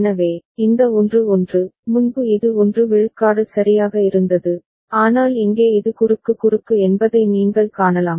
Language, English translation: Tamil, So, this 1 1, earlier it was 1 1 right, but here you can see that this is cross cross